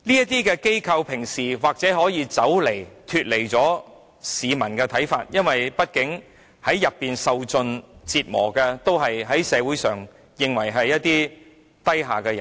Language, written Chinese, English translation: Cantonese, 懲教署平日或許可以不理會市民的看法，因為畢竟在院所受盡折磨的都是在社會上被認為是低下的人。, During daily operation CSD may pay no heed to peoples views because after all those who receive all sorts of torture in correctional institutions are all regarded as socially inferior